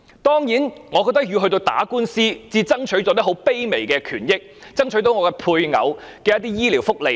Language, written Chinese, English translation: Cantonese, 當然，我感慨，他竟然要打官司，才爭取到一些很卑微的權益，爭取到配偶一些醫療福利。, It goes without saying that I am saddened by the implausible fact that he has to fight a lawsuit in order to secure some very humble rights as well as some medical benefits for his spouse